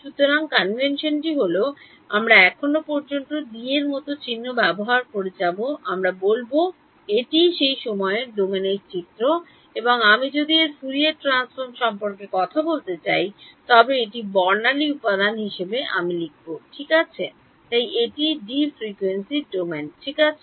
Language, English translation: Bengali, So the convention is, so far we have been using symbols like D we will say that this is the time domain picture and if I want to talk about its Fourier transform that is a spectral component I will write it as D tilde ok, so this is the frequency domain ok